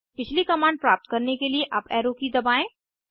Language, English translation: Hindi, Now press the Up Arrow key to get the previous command